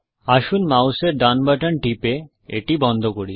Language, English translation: Bengali, Let us close it by clicking the right button of the mouse